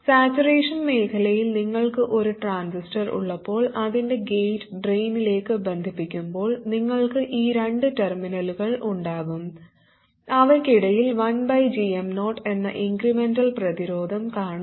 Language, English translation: Malayalam, When you have a transistor in saturation with its gate connected to the drain, you will have these two terminals and between them you will see an incremental resistance which is 1 over GM 0